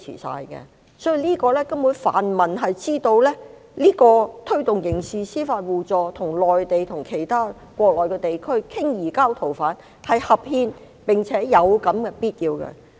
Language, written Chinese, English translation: Cantonese, 所以泛民根本知道推動刑事司法互助，與內地及國內其他地區商討移交逃犯是合憲，並且是有必要的。, Therefore the pan - democrats know that it is constitutional and necessary to promote mutual criminal assistance and discuss the surrender of fugitive offenders with the Mainland and other parts of the country